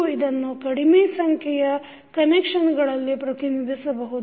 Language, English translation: Kannada, Alternatively, you can also represent it in less number of connections